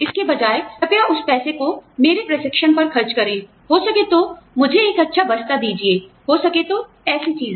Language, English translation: Hindi, Instead, please spend that money, may be on my training, maybe give me a nice bag, may be, you know, stuff like that